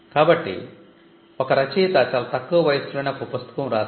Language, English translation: Telugu, So, if the author writes a book very early in his life